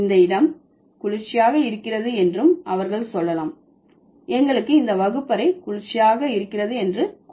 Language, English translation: Tamil, They can also say this place is cool, let's say this classroom is cool